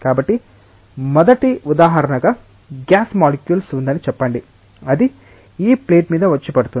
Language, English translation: Telugu, So, let us say that there is a gas molecule as a first example, which is coming falling on this plate